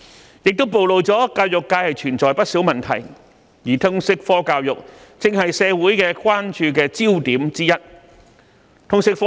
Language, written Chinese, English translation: Cantonese, 此事亦暴露教育界存在不少問題，而通識科教育正是社會關注的焦點之一。, This incident also exposed the various problems in the education sector and the LS subject has become one of the focuses of attention of the community